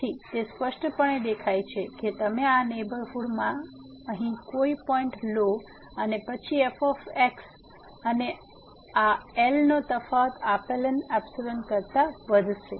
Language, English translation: Gujarati, So, it is clearly visible that you take any point in this neighborhood here and then, the difference between the and this will increase than the given epsilon here